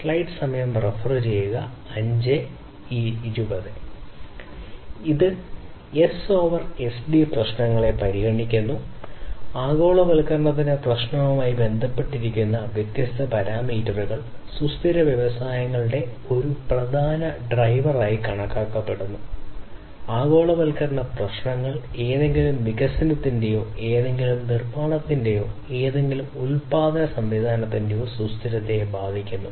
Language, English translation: Malayalam, So, this S over SD considers different issues, different parameters some of these parameters are linked to the issue of globalization, which is basically considered as one of the important drivers of sustainable industries, globalization issues affect the sustainability of any development or any manufacturing or any production system